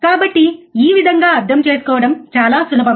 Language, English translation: Telugu, So, this way this very easy to understand